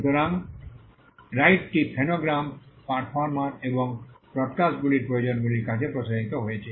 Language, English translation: Bengali, So, the right got extended to producers of phonograms, performers and broadcasters